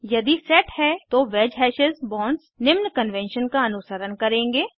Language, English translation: Hindi, If set, the wedge hashes bonds will follow the usual convention